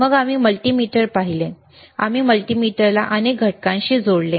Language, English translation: Marathi, Then we have seen multimeter, we have connected multimeter to several components